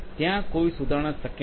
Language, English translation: Gujarati, There is no rectification possible